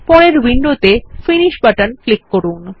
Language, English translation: Bengali, Click on the Finish button in the following window